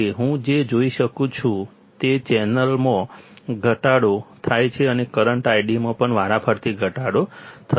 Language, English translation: Gujarati, What I see is decrease in the channel and the current I D will also simultaneously decrease